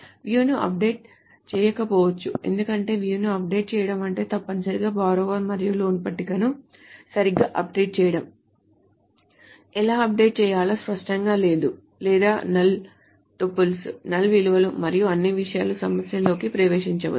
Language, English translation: Telugu, A view may not be updated because updating a view essentially means updating the borrower and the loan tables, right, which is not clear how to update and it may get into the problems of null tuples, null values and all those things